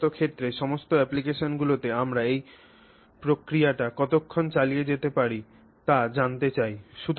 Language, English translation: Bengali, So, in all these cases in all applications we want to know how long we can persist with this process